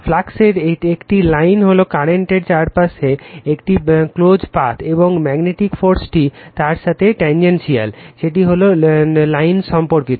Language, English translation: Bengali, A line of flux is a closed path around the current such that the magnetic force is tangential to it is all point around the line